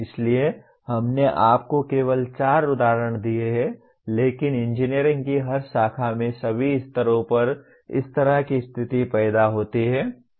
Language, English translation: Hindi, So we have given you only four examples but that kind of situation arise in every branch of engineering at all levels